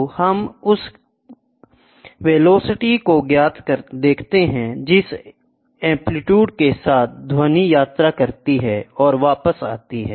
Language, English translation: Hindi, So, we see the velocity with which the amplitude travels the velocity with which the sound travels and comes back